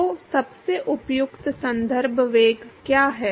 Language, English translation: Hindi, So, what is the most appropriate reference velocity